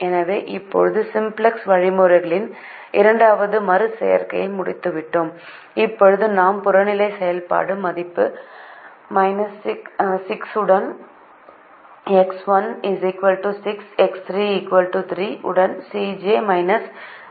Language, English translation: Tamil, so we have now completed the second iteration of the simplex algorithm, where we now have a solution with x one equal to six, x three equal to three, with c j minus z j equal to six, with the objective function value equal to sixty